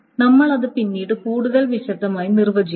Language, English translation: Malayalam, And we will define this in much more detail later but that's not